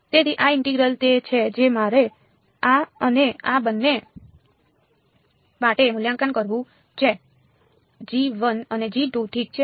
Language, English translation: Gujarati, So, these integrals are the ones I have to evaluate this and this for both g 1 and g 2 ok